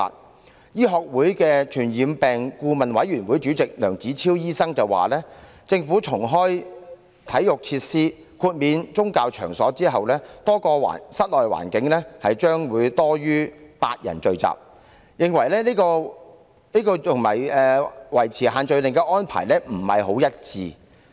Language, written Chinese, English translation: Cantonese, 香港醫學會傳染病顧問委員會主席梁子超醫生表示，當政府重開體育設施及豁免宗教場所後，多個室內環境將有多於8人聚集，這與維持限聚令的安排並不一致。, As opined by Dr LEUNG Chi - chiu Chairman of the Advisory Committee on Communicable Diseases of the Hong Kong Medical Association after the Government has reopened its sports facilities and granted exemption to religious venues group gatherings of more than eight people will take place in many indoor premises and this will not be consistent with the arrangements adopted for imposing the social gathering restrictions